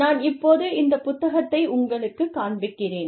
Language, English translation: Tamil, I will show you the book